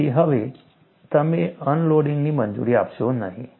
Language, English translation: Gujarati, So, now, you do not permit unloading